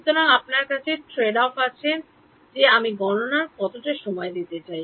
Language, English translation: Bengali, So, then you have tradeoff how much time do I want to devote to computation